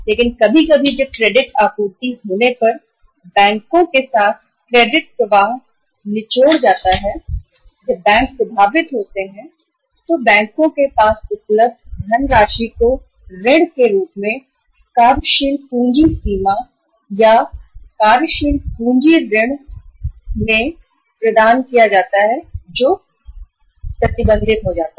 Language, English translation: Hindi, But sometimes when the credit flow squeezes with the banks when the credit supply with the banks gets affected then the funds available with the banks to be provided as a loans or the working capital limits or working capital loans the people gets uh restricted